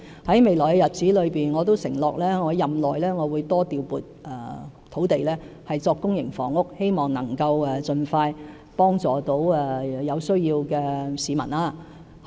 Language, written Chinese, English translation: Cantonese, 在未來的日子，我承諾會在任內多調撥土地興建公營房屋，希望能夠盡快幫助有需要的市民。, In the days ahead I undertake to allocate more sites for public housing development in my term of office to hopefully render help to people in need expeditiously